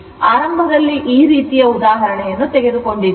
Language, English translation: Kannada, Initially, I have taken these kind of example